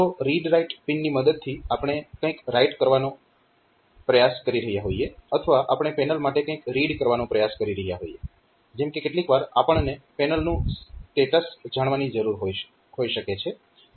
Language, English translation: Gujarati, So, which is read or write so, the whether we are trying to write something on to the panel or we are trying to read something for the panel like sometimes we need to know the status of the panel